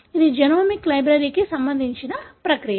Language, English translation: Telugu, So, this is the process for genomic library